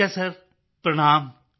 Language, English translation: Punjabi, Sir ji Pranaam